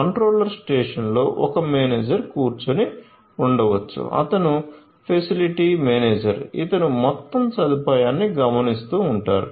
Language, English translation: Telugu, So, there could be a manager sitting in the control station, who is the facility manager taking keeping an eye on the entire facility